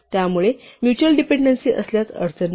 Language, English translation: Marathi, So if there are mutual dependencies we do not have a problem